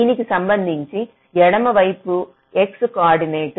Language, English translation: Telugu, so with respect to this, see left means some x coordinate